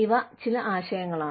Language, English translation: Malayalam, These are some concepts